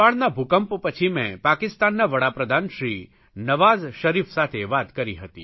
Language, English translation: Gujarati, After the Nepal earthquake I talked to Pakistan's Prime Minister Nawaz Sharif